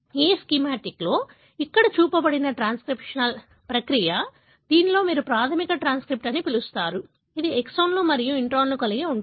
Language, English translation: Telugu, So, what is shown here in this schematic is a transcriptional process, wherein you have the so called primary transcript, which retains both exons and introns